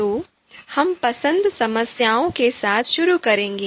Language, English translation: Hindi, So, we will start with the you know choice problems